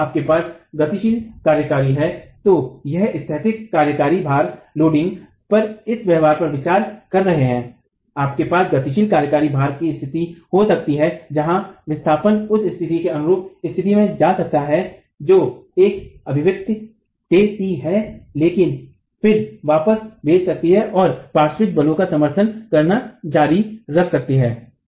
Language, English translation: Hindi, And fundamentally, if you have dynamic loading, we are considering this behavior on a static loading, you can have conditions in dynamic loading where the displacement may go to a state corresponding to the limiting condition that this expression gives, but then can spring back and continue to support the lateral forces